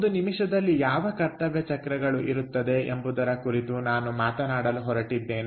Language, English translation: Kannada, i am going to talk about what duty cycles are in a minute